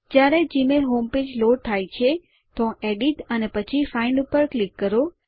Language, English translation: Gujarati, When the gmail home page has loaded, click on Edit and then on Find